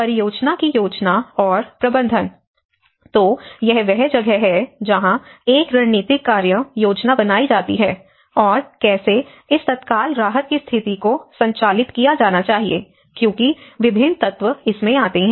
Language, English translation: Hindi, The project planning and management: So, this is where a strategic action plan and how this immediate relief conditions has to be operated because the different actors come into the place